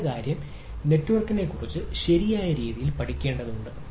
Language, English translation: Malayalam, so the next thing is that need to learn about the network, right